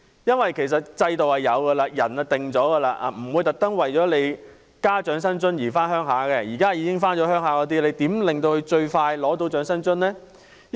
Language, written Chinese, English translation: Cantonese, 因為制度已有，長者也決定好了，不會因為加入了長生津而回鄉，反而是你如何使在內地的香港長者能盡快取得長生津。, The system is in place and the elderly people have made their decisions . It is unlikely that any elderly people will move to the Mainland just for receiving an extra amount of OALA . Instead the point is how to allow the Hong Kong elderly who are already residing in the Mainland to receive OALA as soon as possible